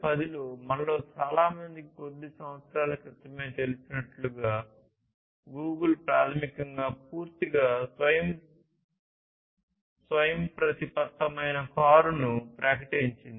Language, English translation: Telugu, In 2010, as many of us know just still few years back, Google basically announced the fully autonomous car, full autonomous car